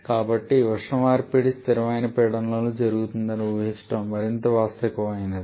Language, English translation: Telugu, So, it is more realistic to assume this heat exchange to be happening at constant pressure